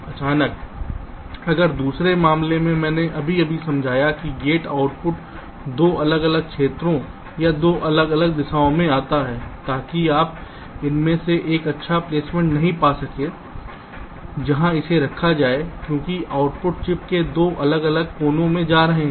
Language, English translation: Hindi, suddenly, if in the other case i just explained, that will be gates output goes to two different regions or two different directions, so that you cannot find out a good placement of these gate, where to place it, because the outputs are going into two different corners of the chip